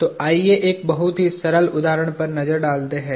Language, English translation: Hindi, So, let us look at a very simple example